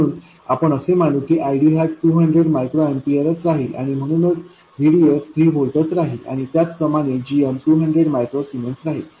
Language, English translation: Marathi, So we will assume that ID will remain at 200 microamperes and therefore VDS will remain at 3 volts and so on and similarly GM will remain at 200 microzemans